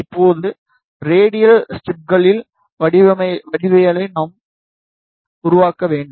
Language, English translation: Tamil, Now, we need to make the geometry of radial stubs